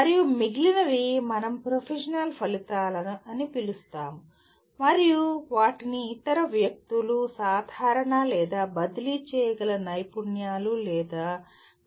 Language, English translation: Telugu, And the remaining ones are what we call professional outcomes and they are also known by other people as generic or transferable skills or outcomes